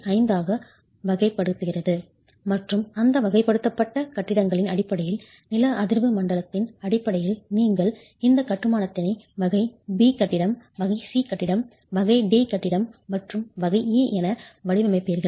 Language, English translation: Tamil, 5 and based on that, categorized buildings based on the seismic zone in which you are designing these constructions as category B building, category C building, category D building and category E building